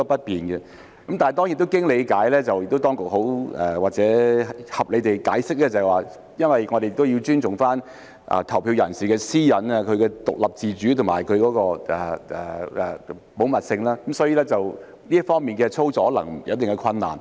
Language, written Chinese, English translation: Cantonese, 但當然，經過理解後我們明白，而當局亦合理地解釋，因為要尊重投票人士的私隱、其獨立自主及保密性，所以，這方面的操作可能有一定的困難。, Yet of course after looking into the issue we understand and the authorities have reasonably explained that given the need to respect the privacy independence and confidentiality of the voters there might be considerable difficulties in such operation